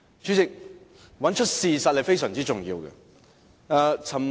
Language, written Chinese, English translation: Cantonese, 主席，找出事實是非常重要的。, President getting the facts straight is very important